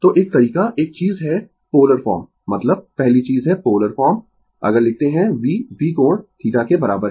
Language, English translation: Hindi, So, one way one one thing is that polar form, I mean first thing is the polar form if you write v is equal to V angle theta